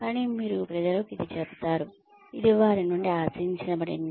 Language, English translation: Telugu, But, you tell people that, this is expected of them